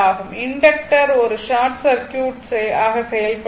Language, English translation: Tamil, So, inductor will act as a short circuit